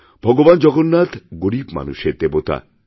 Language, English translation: Bengali, Lord Jagannath is the God of the poor